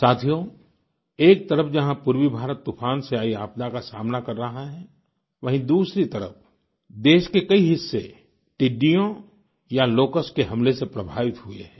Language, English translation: Hindi, on the one side where Eastern India is facing cyclonic calamity; on the other many parts of the country have been affected by locust attacks